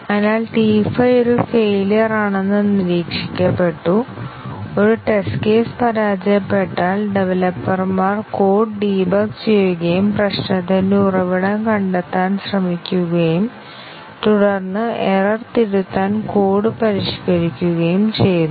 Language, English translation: Malayalam, So, T 5 was observed to be a failure and once a test case fails, the developers debug the code, try to locate what is the source of the problem and then, modify the code to correct the error